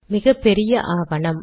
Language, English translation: Tamil, Its a huge document